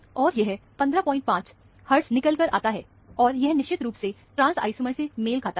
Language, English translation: Hindi, 5 hertz, and this is definitely, it belongs to the trans isomer